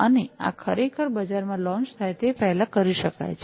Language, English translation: Gujarati, And these could be done before they are actually launched in the market